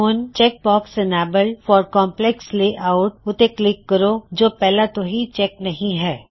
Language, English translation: Punjabi, Click on the check box Enabled for complex text layout, if it is not already checked